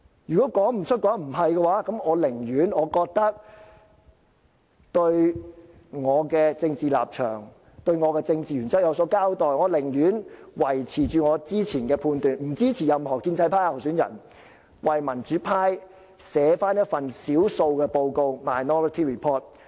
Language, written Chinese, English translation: Cantonese, 如果他說不出或說不是，那我寧願對我的政治立場和政治原則有所交代，我寧願維持我之前的判斷，不支持任何建制派候選人，而為民主派撰寫一份少數報告。, If he cannot say so or if he tells me that we are not sure about that then I would rather stay true to my political stance and principles and stick to my previous judgment; that is I will not support any pro - establishment candidate but will compile a minority report for the pro - democracy camp